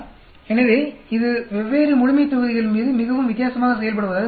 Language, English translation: Tamil, So, it seems to be acting very differently on different populations